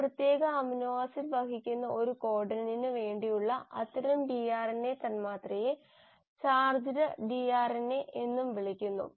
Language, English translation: Malayalam, Now such a tRNA molecule which for a given codon carries that specific amino acid is also called as a charged tRNA